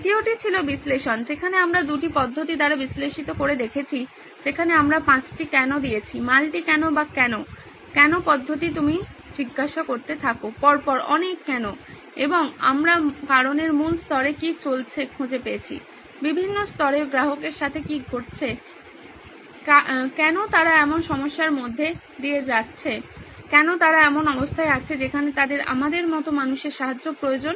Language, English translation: Bengali, The second was analysis, analyze where we found out with two techniques that we went through with 5 why’s the multi why or the why, why technique you keep asking series of why’s and we found out what’s going on at a root cause level, at different levels what’s going on with the customer, why is it that they are going through such a problem, why is it they are in that state where they need help from people like us